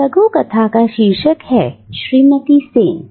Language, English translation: Hindi, And that short story is titled Mrs Sen’s